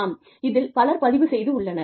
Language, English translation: Tamil, That yes, so many people have enrolled